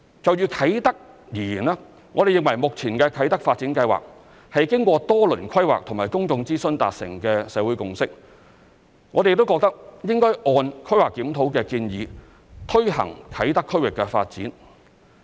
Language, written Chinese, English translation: Cantonese, 就啟德而言，我們認為目前的啟德發展計劃是經過多輪規劃和公眾諮詢達成的社會共識，我們亦認為應按規劃檢討的建議推行啟德區域的發展。, As regards Kai Tak we hold that the Kai Tak Development represents a social consensus after rounds of planning and public consultation . We also hold that we should follow the recommendations of the planning review in taking forward the development of Kai Tak area